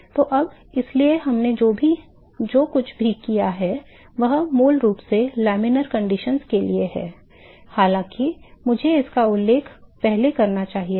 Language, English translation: Hindi, So, now; so, all what we have done is basically for laminar conditions; although I should mentioned it earlier